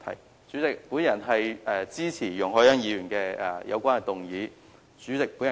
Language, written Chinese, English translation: Cantonese, 代理主席，我謹此陳辭，支持容海恩議員的議案。, With these remarks Deputy President I support Ms YUNG Hoi - yans motion